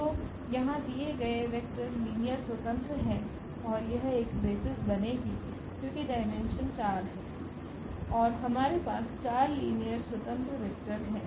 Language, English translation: Hindi, So, here are the given vectors they are linearly independent and then they it has to be a basis because, the dimension is 4 and we have these 4 linearly independent vectors